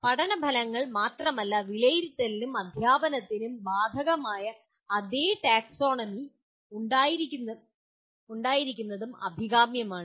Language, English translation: Malayalam, And it is also desirable to have the same taxonomy that is applicable to not only learning outcomes, but also assessment and teaching